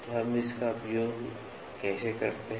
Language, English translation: Hindi, So, clear it how do we use this